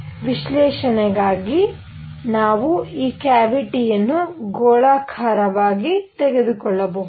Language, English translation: Kannada, For analysis, we can take this cavity to be spherical